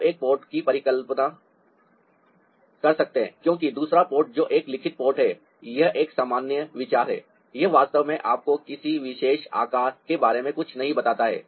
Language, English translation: Hindi, you can also imagine a pot, because the other pot, which is a written pot, that is a generalized, it doesn't really tell you, ah, anything about a particular shape